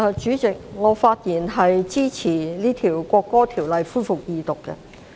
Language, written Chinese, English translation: Cantonese, 主席，我發言支持《國歌條例草案》恢復二讀。, President I rise to speak in support of the resumption of Second Reading of the National Anthem Bill the Bill